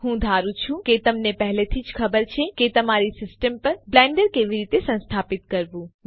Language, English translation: Gujarati, I assume that you already know how to install Blender on your system